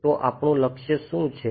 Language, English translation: Gujarati, So, what is our goal